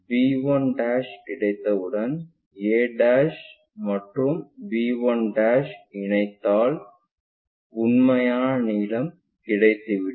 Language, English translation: Tamil, Once b 1' is on, a' to b 1' connect it and that is the true length